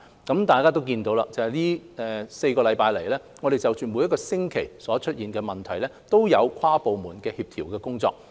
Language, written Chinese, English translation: Cantonese, 大家都看到，這4星期以來，我們就着每個星期所出現的問題，均有跨部門的協調工作。, As Members can see over the past four weeks we have engaged in interdepartmental coordination work to handle problems that have arisen each week